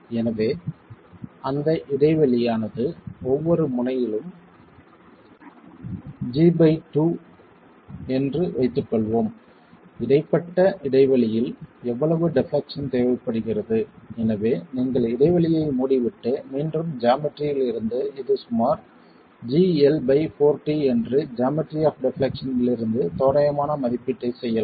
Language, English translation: Tamil, So, for that let's assume that the gap itself is G by 2 at each end how much deflection at midspan is required so that you close the gap and again from geometry you can make an approximate estimate that this is about four times it's about G into L by 4 times T from the geometry of the deflection itself